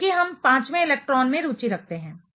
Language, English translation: Hindi, Since, we are interested in fifth electron